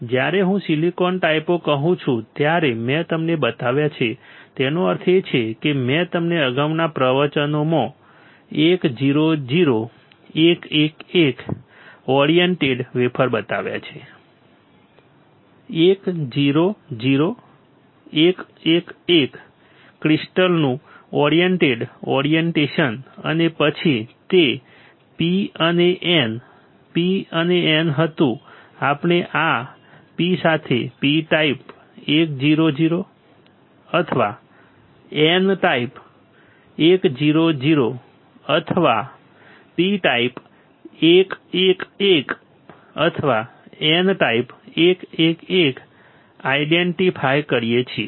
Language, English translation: Gujarati, When I say types of silicon I have shown you; that means, that I have shown you 1 0 0 1 1 1 oriented wafers right in the previous lectures 1 0 0 1 1 1 oriented orientation of the crystal right and then it was P and N, P and N we can identify with this P type 1 0 0 or N type 1 0 0 or P type 1 1 1 or N type 1 1